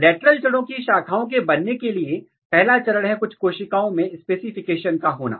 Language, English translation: Hindi, The first stage in the lateral root, branching is that the specification of some, some cells